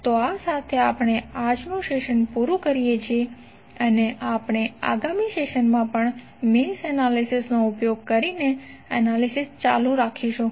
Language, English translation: Gujarati, So with this we close our today's session and we will continue the analysis using mesh analysis in the next session also